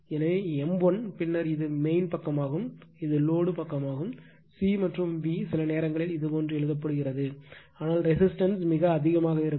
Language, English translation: Tamil, So, m l then this is your mean side this is your load side C and V sometimes you write like this , but at the resistance in very high